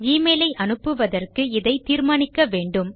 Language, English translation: Tamil, We need to do this in order to send the email